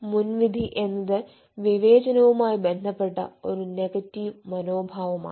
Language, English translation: Malayalam, you know, prejudice is nothing but a negative attitude which relates to discrimination